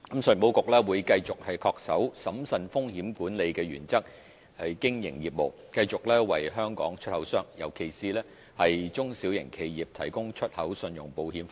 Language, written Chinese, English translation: Cantonese, 信保局會繼續恪守審慎風險管理的原則經營業務，繼續為香港出口商，尤其是中小型企業提供出口信用保險服務。, ECIC will continue to adhere to the principle of prudent risk management in operating its business and keep on providing export credit insurance service to exporters in Hong Kong especially small and medium enterprises